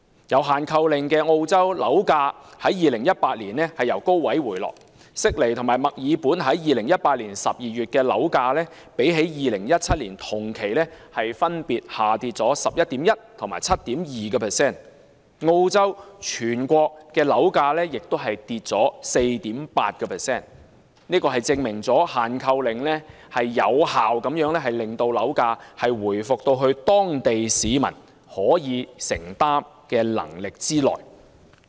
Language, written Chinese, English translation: Cantonese, 有"限購令"的澳洲，樓價在2018年從高位回落，悉尼和墨爾本2018年12月的樓價，較2017年同期分別下跌 11.1% 和 7.2%， 澳洲全國樓價亦下跌 4.8%， 證明"限購令"有效令樓價回復至當地市民可負擔能力之內。, The property prices in Sydney and Melbourne in December 2018 dropped by 11.1 % and 7.2 % respectively compared with the same period in 2017 . The overall proprety prices in Australia have dropped by 4.8 % . This shows that a purchase restriction can effectively bring property prices back to a level affordable to local people